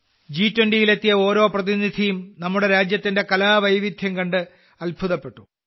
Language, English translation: Malayalam, Every representative who came to the G20 was amazed to see the artistic diversity of our country